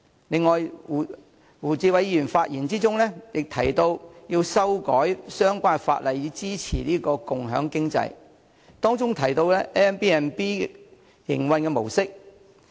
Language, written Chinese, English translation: Cantonese, 另外，胡議員在發言中提到要修改相關法例以支持共享經濟，並提及 Airbnb 的營運模式。, Moreover Mr WU has suggested in his speech that we should amend the relevant legislation to support the sharing economy alluding to the business model of Airbnb